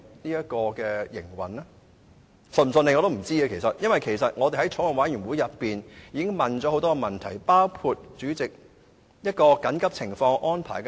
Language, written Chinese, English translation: Cantonese, 我也不知道高鐵是否會順利運作，因為我們在法案委員會提出了很多問題，包括緊急情況下的安排。, I wonder if XRL will be able to operate smoothly given the many questions raised in the Bills Committee including emergency arrangements